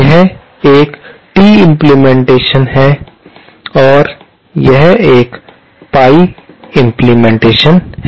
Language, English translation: Hindi, This is a T implementation, this is a pie implementation